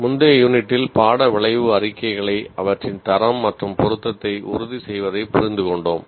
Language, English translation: Tamil, In the earlier unit, we understood writing the course outcome statements ensuring their quality and relevance